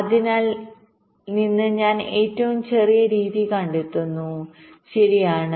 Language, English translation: Malayalam, out of that i am finding the smallest method right